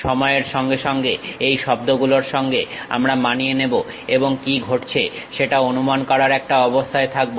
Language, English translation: Bengali, Over the time we will acclimatize with these words and will be in your position to really sense what is happening